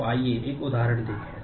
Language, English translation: Hindi, So, let us see an example